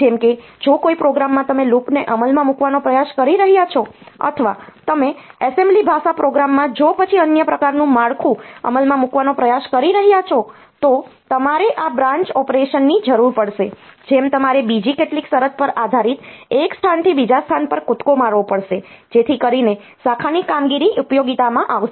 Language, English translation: Gujarati, Like if in a program you are trying to implement a loop, or you are trying to implement an if then else type of structure in an assembly language program, then you will need these branch operations, in which you have to jump from one location to the other based on some condition so that way the branch operations will come into utility